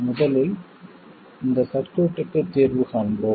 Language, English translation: Tamil, First we solve for this circuit